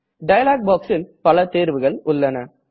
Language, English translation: Tamil, In this dialog box, we have several options